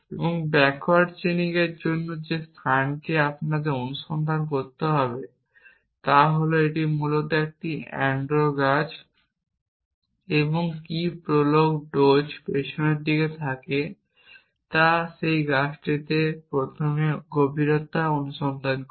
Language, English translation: Bengali, So, you have all these question possibilities and the space that backward chaining we have to search is that is an ando trees essentially and what prolog dose is backward it does depth first search on that tree